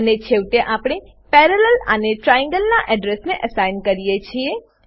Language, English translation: Gujarati, And at last we assign Parallel to the address of Triangle trgl